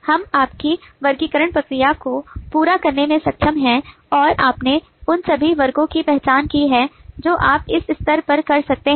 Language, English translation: Hindi, by this three, we have been able to complete your classification process and you have identified all the classes that you could do at this stage